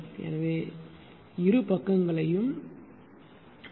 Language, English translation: Tamil, So, divide both side by RK right